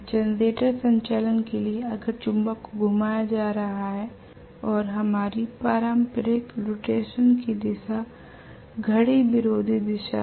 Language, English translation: Hindi, For generator operation if the magnet is being rotated and our conventional direction is anti clock wise direction of rotation